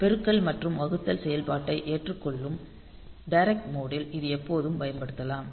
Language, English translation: Tamil, So, it is always it can be used in direct mode accepting in the multiplication and division operation